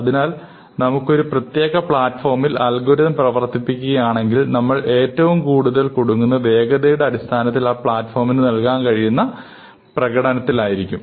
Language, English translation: Malayalam, So, if we are running algorithms on a particular platform, then we are more or less stuck with the performance that that platform can give us in term of speed